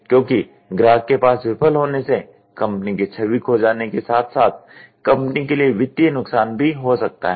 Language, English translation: Hindi, Because failing at the customer end is going to cost a huge image lost for the company as well as financial loss for the company